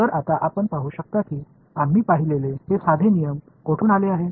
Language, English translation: Marathi, So, now you can see where these the simple rules that we have seen where do they come from